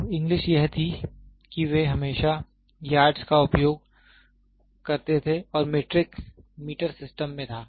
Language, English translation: Hindi, So, English was they always use yards and metric was in meter systems